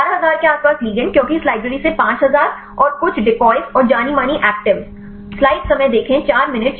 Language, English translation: Hindi, Around 11000 ligands because 5000 from this library and some decoys and the known actives